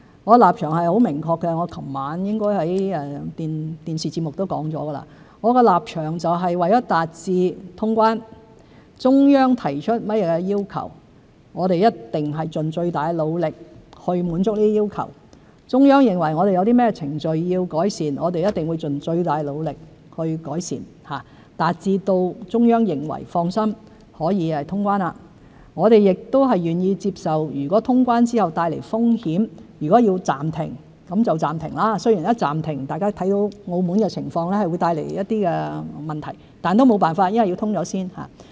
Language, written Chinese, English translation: Cantonese, 我的立場很明確，我昨晚應在電視節目中說過：我的立場是，為達致通關，中央提出甚麼要求，我們一定盡最大努力滿足其要求；中央認為我們有甚麼程序要改善，我們一定盡最大努力改善，令中央可以放心通關；我們亦願意接受通關後帶來的風險，如果要暫停就暫停——雖然一暫停，大家看到澳門的情況，會帶來一些問題，但也沒有辦法，因為要先通關。, My position is very clear . As I have probably mentioned in a television programme last night my position is that in order to resume quarantine‑free travel we will definitely make all - out efforts to meet any requirements as the Central Authorities may specify and make any improvement in procedures as the Central Authorities may consider necessary thereby providing reassurance to the Central Authorities for resumption of quarantine‑free travel; we are also willing to accept the possible risks after resumption of quarantine‑free travel and suspend quarantine exemption whenever necessary―although suspension will bring about problems as we can see from the situation in Macao it is inevitable because there is a need for resuming quarantine‑free travel in the first place